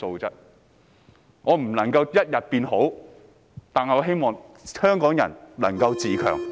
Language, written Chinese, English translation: Cantonese, 即使無法一步登天，我也希望香港人能夠自強。, Even if it cannot be done overnight I hope Hongkongers can keep going